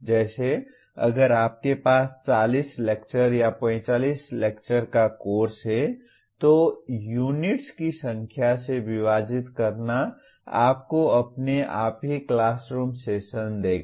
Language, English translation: Hindi, Like if you have a 40 lecture or 45 lecture course then divided by the number of units will automatically give you the classroom sessions